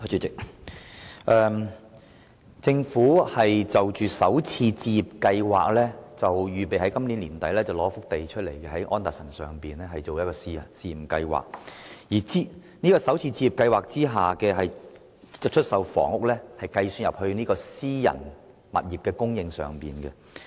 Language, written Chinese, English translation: Cantonese, 關於首次置業計劃，政府預備在今年年底撥出土地，在安達臣道推行試驗計劃，而在首次置業計劃下出售的房屋，將計入私人住宅物業的供應量。, With regard to home starter schemes the Government is planning to make available a site on Anderson Road at the end of this year for the introduction of the Starter Homes Pilot Scheme . Flats sold under the Scheme will be included in the statistics for private housing supply